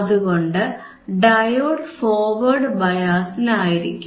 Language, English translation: Malayalam, , Sso, diode will be in forward bias,